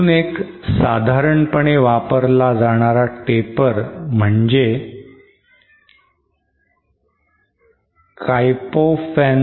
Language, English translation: Marathi, So one other type of taper that is commonly used is what is called Klopfenstein taper